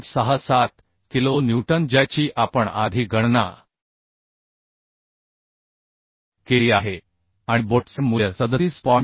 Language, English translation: Marathi, 67 kilonewton which we have calculated earlier and the bolt value is 37